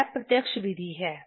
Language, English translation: Hindi, This is the direct method